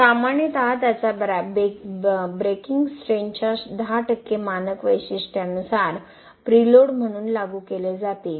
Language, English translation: Marathi, Typically 10% of its breaking strength will be applied as a preload as per the standard specifications